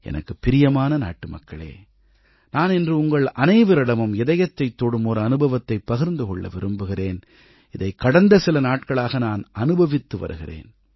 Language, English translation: Tamil, My dear countrymen, today I wish to narrate a heart rending experience with you which I've beenwanting to do past few days